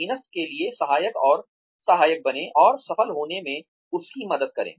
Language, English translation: Hindi, Be helpful and supportive to the subordinate, and help him or her to succeed